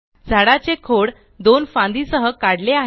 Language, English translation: Marathi, You have drawn a tree trunk with two branches